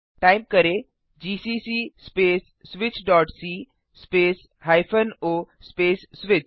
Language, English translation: Hindi, Type:gcc space switch.c space o space switch